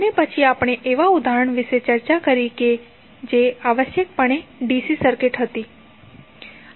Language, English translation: Gujarati, And then we discussed the example which was essentially a DC circuit